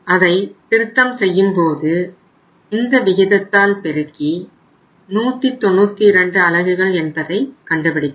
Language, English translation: Tamil, Now it is if the revised is if it is multiplied by the ratio we have worked out this came up as 192 units